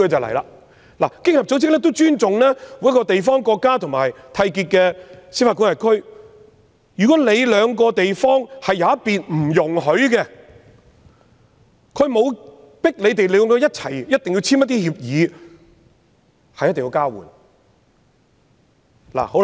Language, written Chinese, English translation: Cantonese, 其實，經合組織尊重各地方、國家和締約司法管核區，如果締約雙方的其中一方是不容許的，經合組織並不會強迫締約雙方必須簽訂協議交換資料。, In fact OECD respects all regions countries and contracting jurisdictions . If the arrangement is not allowed by any one of the contracting parties OECD will not force the contracting parties to enter into an agreement on exchange of information